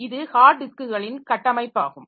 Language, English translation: Tamil, So, this is the structure of the hard disk